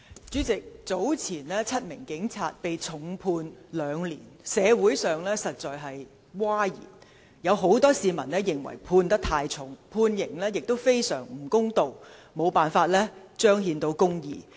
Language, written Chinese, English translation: Cantonese, 主席，早前7名警員被重判兩年，社會上一片譁然，有很多市民認為刑罰過重，判刑亦非常不公道，無法彰顯公義。, President the seven police officers were given a heavy prison sentence of two years and this has led to huge public outcries . Many people think that the penalty is much too heavy and unfair unable to manifest justice